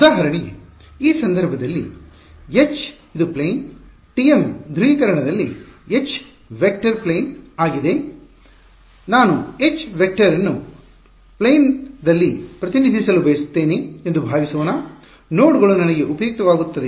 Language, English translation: Kannada, Because for example, in this case H is in plane; in the TM polarization H is a vector in plane, supposing I wanted to represent the H vector in plane, will the nodes we useful for me